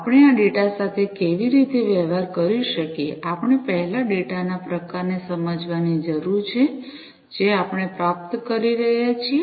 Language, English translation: Gujarati, How we can deal with this data, we need to first understand the type of data, that we are receiving